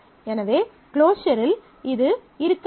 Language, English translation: Tamil, So, in the closure that must be there